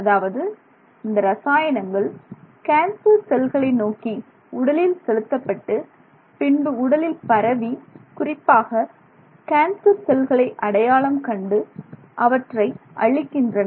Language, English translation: Tamil, So, that is the, those are the chemicals that are being pushed into the body and they are going to spread through the body, try and locate cancer cells and destroy them